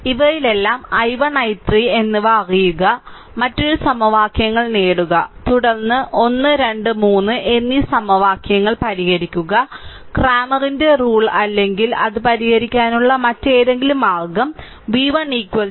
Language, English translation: Malayalam, So, you know i 1, you know, i 3 in the all those things, you get another equations and then you solve equation 1, 2 and 3 the way you want Cramer's rule or anything, the way you want to solve it and you will get v 1 is equal to 45